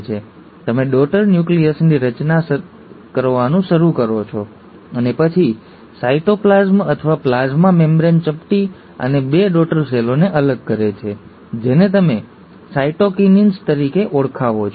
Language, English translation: Gujarati, So you start getting daughter nuclei formed, and then, the cytoplasm or the plasma membrane pinches and separates the two daughter cells, which is what you call as the cytokinesis